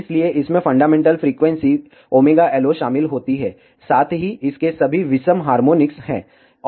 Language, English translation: Hindi, So, it will contain the fundamental frequency omega LO, as well as all of its odd harmonics